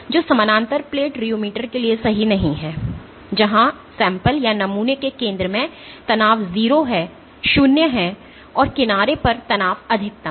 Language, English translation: Hindi, Which is not true for a parallel plate rheometer, where the strain at the center of the sample is 0 and the strain is maximum at the edge